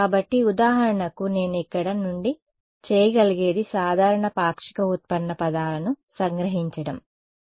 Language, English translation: Telugu, So, for example so, what I can do from here is extract out the common partial derivative terms ok